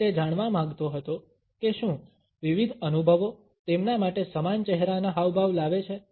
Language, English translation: Gujarati, And he wanted to find out whether different experiences brought similar facial expressions for them